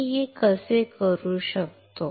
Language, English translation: Marathi, How can I do this